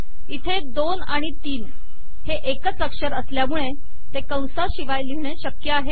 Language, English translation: Marathi, Because these 2 and 3 are single character arguments its possible to write them without braces